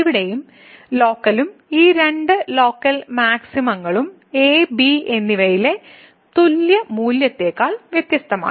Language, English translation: Malayalam, And, here as well the local these two local maximum are also different than the equal value at and